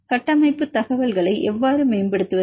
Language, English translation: Tamil, How to improve the structural information